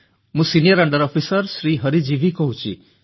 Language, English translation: Odia, This is senior under Officer Sri Hari G